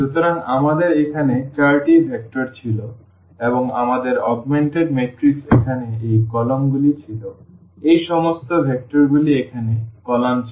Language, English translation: Bengali, So, we had the four vectors here and our augmented matrix was having this columns here all these vectors were the columns here 1, 1, 1 this was 1, 1, 0